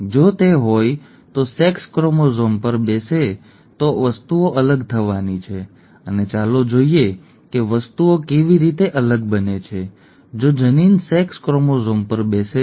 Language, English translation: Gujarati, If it is, if it sits on the sex chromosomes, then things are going to be different and let us see how the things become different, if the allele sits on the sex chromosome